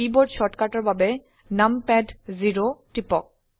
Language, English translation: Assamese, For keyboard shortcut, press numpad 0